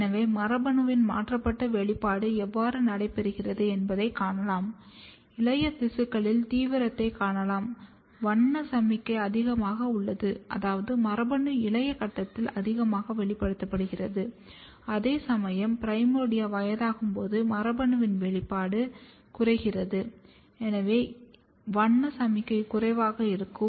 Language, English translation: Tamil, So, you can see how differential expression of gene is taking place; in the younger tissue you can see the intensity, the color signal is higher which means, that the gene is highly expressed in the younger stage whereas, when the primordia is old the expression of the gene goes down and therefore, the color signal is lower